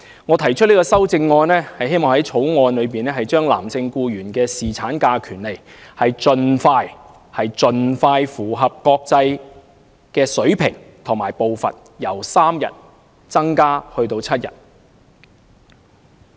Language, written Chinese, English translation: Cantonese, 我提出修正案，希望在《條例草案》中提升男性僱員的侍產假權利，使之盡快符合國際水平，即由3日增加至7日。, My amendment seeks to enhance the paternity leave entitlement of male employees under the Bill by increasing the duration from three days to seven days so as to be in line with international standards as soon as possible